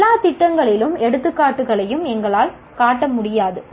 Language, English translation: Tamil, We will not be able to show examples of all programs